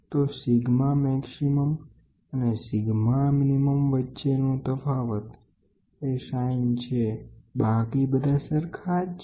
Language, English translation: Gujarati, So, the difference between sigma maximum and sigma minimum is this sign alone, rest all the formula is the same